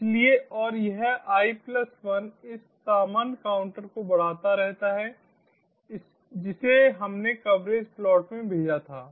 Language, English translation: Hindi, so and this i plus one, this keeps on incrementing this normal counter which we sent to the coverage plot